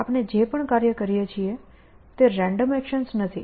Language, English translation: Gujarati, Whatever, we do these are not random actions that we do